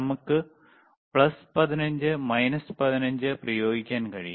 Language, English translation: Malayalam, We can apply plus we can also apply plus 15 minus 15